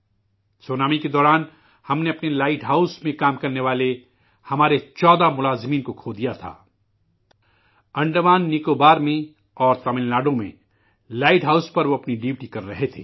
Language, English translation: Urdu, During the tsunami we lost 14 of our employees working at our light house; they were on duty at the light houses in Andaman Nicobar and Tamilnadu